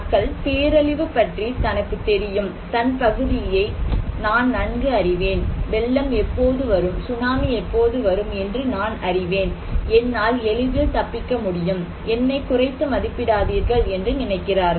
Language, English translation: Tamil, People think okay, I know about disaster, I know my area very well so, when the flood will come, tsunami will come, I can easily escape, do not underestimate me